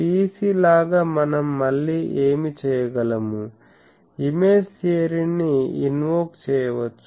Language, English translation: Telugu, So, what we can do again like PEC we can invoke the image theory